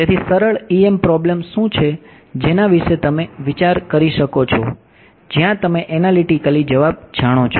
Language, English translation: Gujarati, So, what is the simplest EM problem you can think of where you know the answer analytically